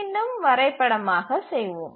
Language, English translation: Tamil, Now let's again graphically plot